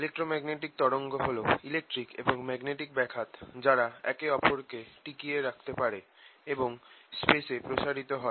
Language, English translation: Bengali, are this electrical and magnetic disturbances that sustained each other and propagating space